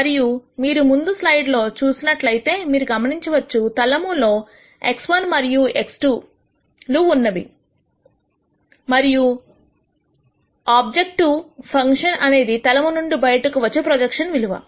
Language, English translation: Telugu, And if you looked at the previous slide you would notice that x 1 and x 2 are in a plane and the objective function is a value that is projected outside the plane